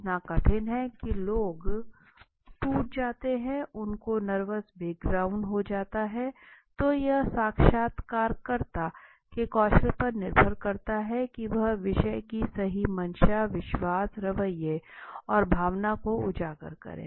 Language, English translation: Hindi, Are so arduous so tough that people break down right they have even nervous breakdown right so it depends on what kind of the skill the interviewer has right to uncover the underlying motivations the belief attitude and feelings on the topic okay